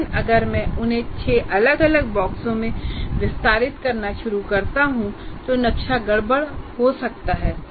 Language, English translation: Hindi, But if I start expanding like six different boxes, the map becomes a little more messy and complex